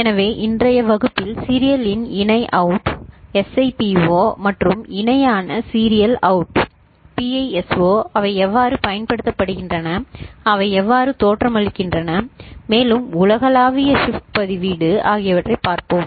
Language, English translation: Tamil, So, in today’s class we shall look at serial in parallel out, SIPO and parallel in serial out, PISO how are they used and how they look like and also universal shift register ok